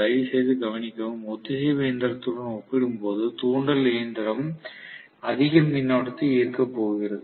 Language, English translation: Tamil, Please note, very clearly induction machine is going to draw a higher current as compared to the synchronous machine